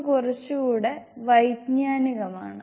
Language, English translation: Malayalam, So it is a little bit more cognitive